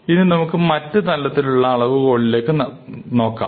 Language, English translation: Malayalam, Now, we could look at a different measure, right